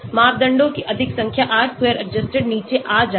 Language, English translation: Hindi, so more number of parameters, R square adjusted will come down